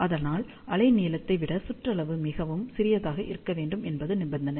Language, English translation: Tamil, So, for the condition, where circumference is much much smaller than wavelength